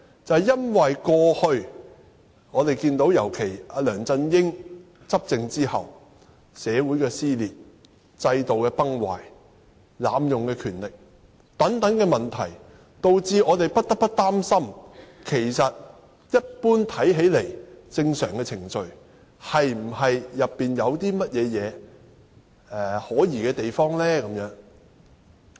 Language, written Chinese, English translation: Cantonese, 這是因為在過去一段時間，尤其是梁振英執政後，出現了社會撕裂、制度崩壞、濫用權力等問題，導致我們不得不有所擔心：這項看似正常的程序，當中有否可疑之處？, This is because problems such as social dissension collapse of the system and abuse of power have emerged over a certain period of time in the past in particular after LEUNG Chun - ying has come to power . Hence we will inevitably be concerned about whether there are any suspicious elements behind this seemingly normal procedure?